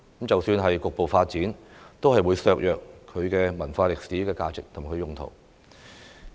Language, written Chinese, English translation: Cantonese, 即使局部發展，也會削弱它的文化歷史價值及用途。, Even partial development will undermine its cultural and historical values and purposes